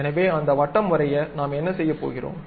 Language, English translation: Tamil, Now, I would like to draw a circle around that